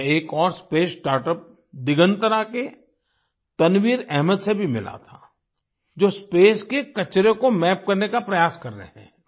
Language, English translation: Hindi, I also met Tanveer Ahmed of Digantara, another space startup who is trying to map waste in space